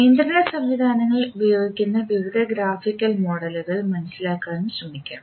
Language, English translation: Malayalam, So let us try to understand what are the various graphical models used in the control systems